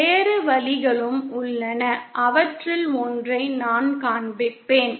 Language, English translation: Tamil, There are other ways also IÕll show one of them